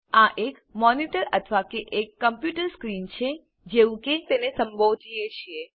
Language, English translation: Gujarati, This is a monitor or the computer screen, as we call it